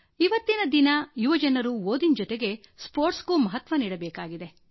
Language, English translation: Kannada, For the youth in today's age, along with studies, sports are also of great importance